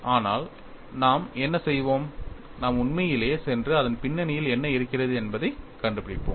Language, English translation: Tamil, But what we will do is, we would really go and find out what is the reason behind it